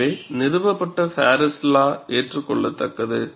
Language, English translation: Tamil, So, that established Paris law is acceptable